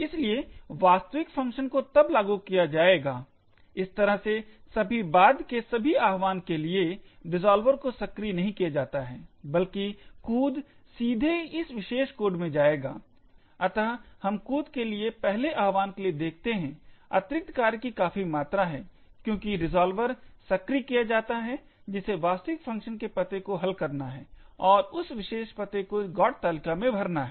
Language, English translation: Hindi, Therefore, the actual function would then get invoked, in this way for all subsequent invocations the resolver is not invoked but rather the jump would directly go into this particular code, thus we see for the first invocation of jump there is considerable amounts of overhead because the resolver gets invoked which has to resolve the actual address function and fill in the GOT table with that particular address